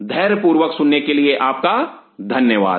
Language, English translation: Hindi, Thanks for your patience listening